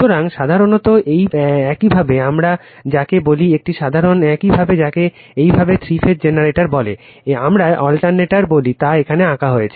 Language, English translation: Bengali, So, generally you your what we call that a simple your what you call three phase generator, we call alternator have been drawn here right